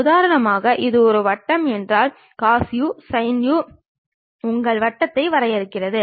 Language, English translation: Tamil, For example, if it is a circle cos u sin u defines your circle